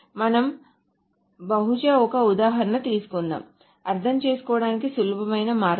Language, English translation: Telugu, So let us probably take an example that is the easier way to understand